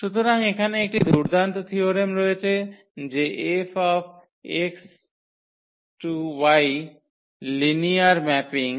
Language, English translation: Bengali, So, there is a nice theorem here that F X to Y be a linear mapping